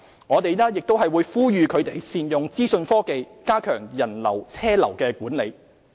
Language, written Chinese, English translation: Cantonese, 我們亦呼籲他們善用資訊科技加強人流車流管理。, We have also encouraged the trade to make use of information technology to enhance visitor flow and vehicular flow control